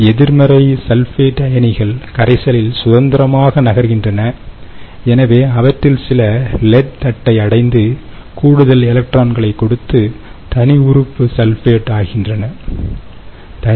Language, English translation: Tamil, negative sulfate ions are moving freely in the solution, so some of them will reach to pure lead plate, where they give their extra electrons and become radical sulfate